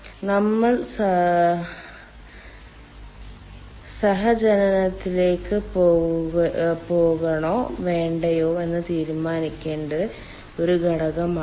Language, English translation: Malayalam, this is one factor by which we should decide whether we should go for cogeneration or not